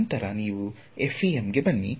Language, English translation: Kannada, Then you come to FEM